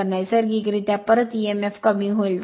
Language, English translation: Marathi, So, naturally your back Emf will decrease right